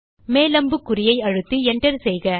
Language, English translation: Tamil, Press the up arrow key, press enter